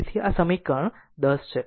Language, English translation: Gujarati, So, this is equation 10 right